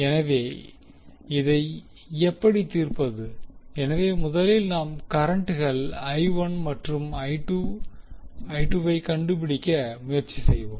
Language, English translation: Tamil, So, how to solve, we will first try to find out the currents I1 and I2